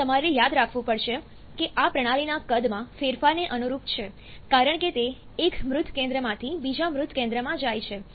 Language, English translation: Gujarati, This; you have to remember this corresponds to the change in the volume of the system as it moves from one dead centre to the other dead centre